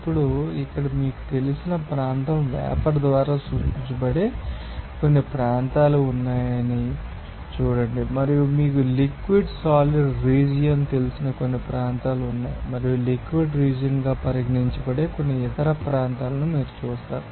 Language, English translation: Telugu, Now, see there are some regions here that will be denoted by this here vapour you know region and there is some regions to be you know liquid solid region and where you will see that some other region which will be you know that regarded as liquid region